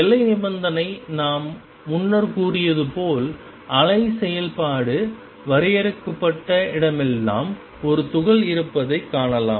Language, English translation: Tamil, And the boundary condition is going to be as we said earlier that wave function wherever it is finite there is a particle is to be found there